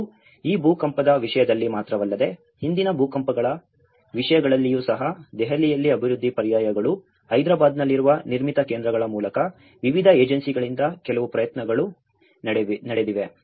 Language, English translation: Kannada, And not only in terms of this earthquake but also the previous past earthquakes, there has been some efforts by different agencies by development alternatives in Delhi, Nirmithi Kendraís in Hyderabad